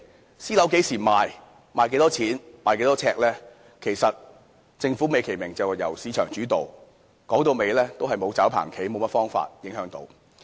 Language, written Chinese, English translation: Cantonese, 對於私樓何時賣、賣多少錢、呎價是多少等，政府美其名是由市場主導，其實說到底是沒有甚麼方法可影響。, Concerning when a private property will be for sale the prices per flat and per square foot and the like the Government euphemistically remarks that these are all market - led but in fact has no alternatives to exert influence